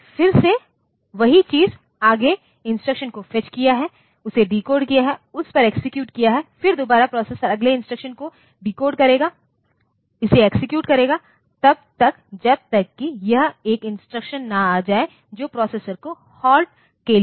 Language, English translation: Hindi, Then again the same thing fetch the next instruction, decode it, execute it, then again the processor will phase the next instruction decode it execute it till it comes to a statement an instruction which asks the processor to halt